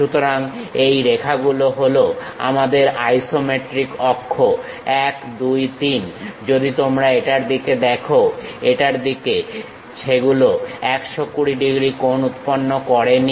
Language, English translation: Bengali, So these lines are our isometric axis one, two, three; if you are looking this one, this one; they are not making 120 degrees